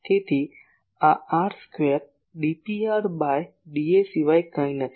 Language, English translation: Gujarati, So, this is nothing but r square d P r d A